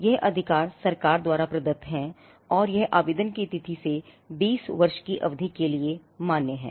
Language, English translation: Hindi, This right is conferred by the government and it is for a period of 20 years from the date of application